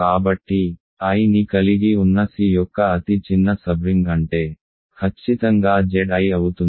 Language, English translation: Telugu, So, what is a smallest sub ring of C that contains i, is precisely Z i